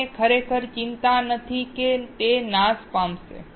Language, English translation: Gujarati, We do not really worry that it will get destroyed